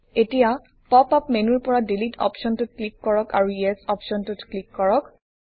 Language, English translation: Assamese, Now click on the Delete option in the pop up menu and then click on the Yes option